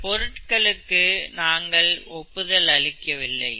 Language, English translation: Tamil, But we do not endorse the products